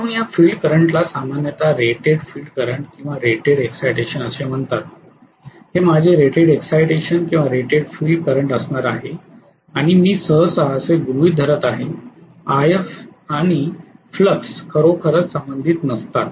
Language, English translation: Marathi, So this field current is generally termed as the rated field current or rated excitation, this is going to be my rated excitation or rated field current and I am generally assuming that IF and flux are not really linearly related